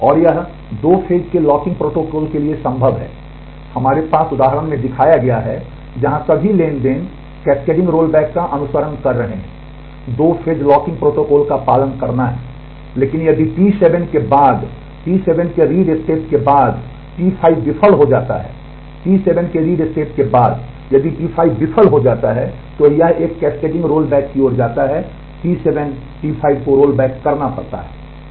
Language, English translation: Hindi, And it is possible for a two phase locking protocol have we have in the example is shown here, where all the transactions are following cascading roll back has to as following two phase locking protocol, but if T 5 fails after the read step of T 7 after the read step of T 7, if T 5 fails then it leads to a cascading rollback T 7 T 5 has to be rolled back